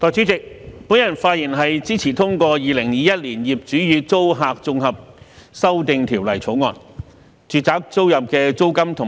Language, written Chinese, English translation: Cantonese, 代理主席，我發言支持《2021年業主與租客條例草案》。, Deputy President I speak in support of the Landlord and Tenant Amendment Bill 2021 the Bill